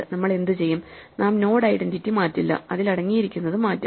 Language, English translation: Malayalam, What we do is we do not change the identity of the node, we change what it contains